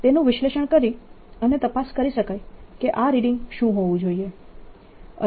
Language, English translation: Gujarati, one can analyze this and check what these readings should be